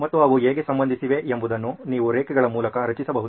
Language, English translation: Kannada, And how are they related, so you can draw a line like that